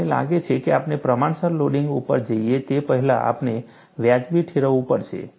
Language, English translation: Gujarati, I think, before we go to proportional loading, we have to justify, why we want to go for proportional loading